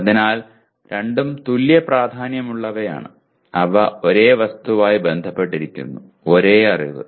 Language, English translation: Malayalam, So both are equally important and they are related to the same object, same knowledge, okay